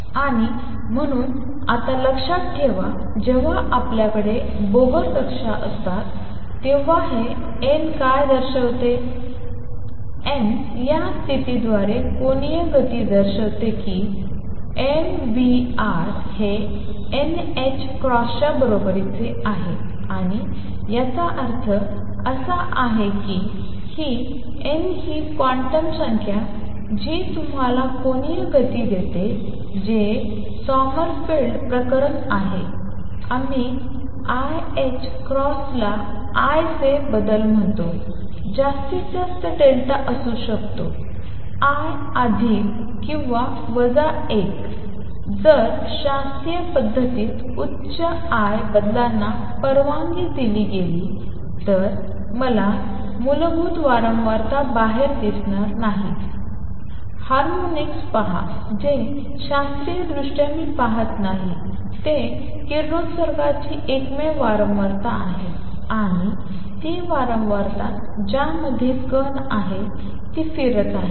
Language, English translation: Marathi, And therefore now remember when we have Bohr orbits, what does this n represents; n represents the angular momentum through the condition that mvr is equal to n h cross and this implies that this n that quantum number that gives you the angular momentum which is Sommerfeld case, we called l h cross the change of l can be maximum delta l can be plus or minus 1, if higher l changes were allowed in the classical regime, I would not see the fundamental frequency out, see harmonics which are not seen what I see classically is the only one frequency of radiation and that is the frequency at which particle is rotating